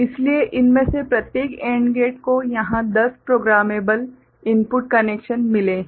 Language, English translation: Hindi, So, each of these AND gate here has got ten programmable input connections ok